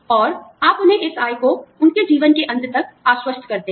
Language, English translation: Hindi, And, you assure them, this income, till the end of their lives